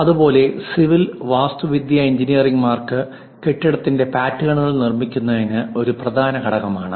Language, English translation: Malayalam, Similarly, for civil and architectural engineers, constructing building's patterns is essential components